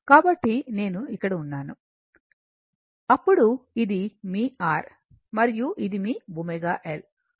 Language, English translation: Telugu, So, I m is here, then this is your R, and this is your omega L